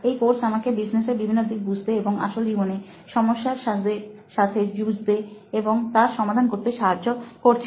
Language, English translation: Bengali, And it is helping me with many aspects to know about businesses and how to deal with real life problems and solve them